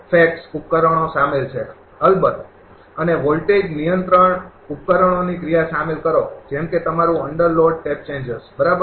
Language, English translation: Gujarati, Including facts devices of course and the action of voltage control devices, such as your under load tap changers, right